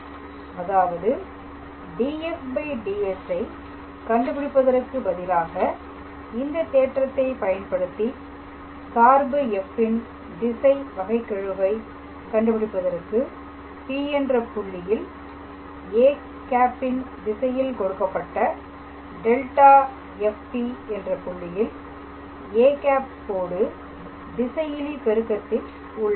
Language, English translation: Tamil, So, that means, instead of calculating df dS we can just using this theorem the directional derivative of the function f at the point P in the direction of a is given by gradient of f at the point P dot product with a cap